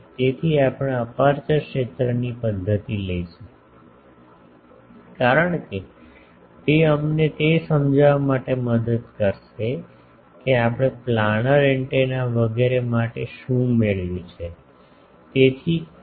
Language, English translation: Gujarati, So, we will take the aperture field method because it will help us to illustrate what were we have derived for planar antennas etc